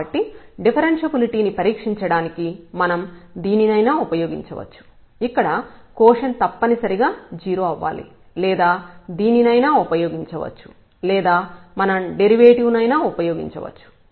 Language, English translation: Telugu, So, we can use either this one to test the differentiability that this quotient must be 0 or we can use this one or we can use the derivative one